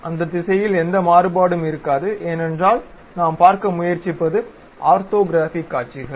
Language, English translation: Tamil, There will not be any variation in that direction because these are the orthographic views what we are trying to look at